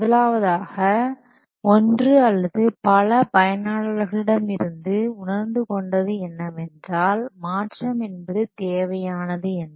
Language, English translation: Tamil, First one or more users they might perceive that there is a need for a change